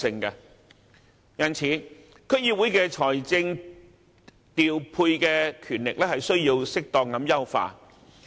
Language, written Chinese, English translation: Cantonese, 因此，區議會的財政調配權力需要適當優化。, In this connection it is necessary to appropriately enhance the power of financial allocation of DCs